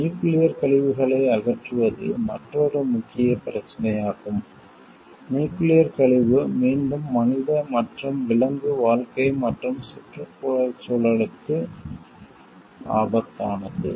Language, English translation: Tamil, Disposition of nuclear waste is another major issue, nuclear waste can again be deadly to both human and animal life as well as the environment